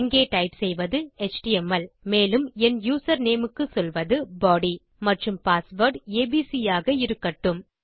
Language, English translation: Tamil, I type in html here and for my username I say body and just keep my password as abc